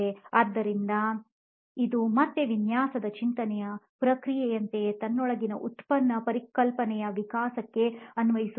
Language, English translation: Kannada, So this again it is like the same process of design thinking applying itself into this evolution of the product concept within itself